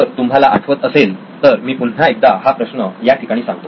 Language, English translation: Marathi, So if you remember I will reiterate the problem right here